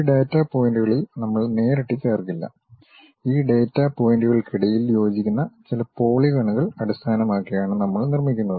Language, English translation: Malayalam, We do not straight away join these data points, what we do is we construct based on certain, polygons fit in between these data points